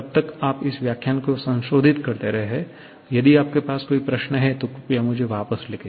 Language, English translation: Hindi, Till then, you revise this lecture and if you have any query please write back to me